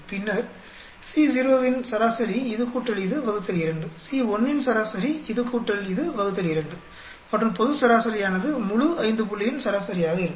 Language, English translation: Tamil, Average of A1, this plus this by 2, then average of C naught, this plus this by 2, Average of C1, this plus this by 2 and global average will be average of the entire lot five point